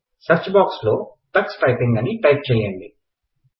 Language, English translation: Telugu, In the Search box, type Tux Typing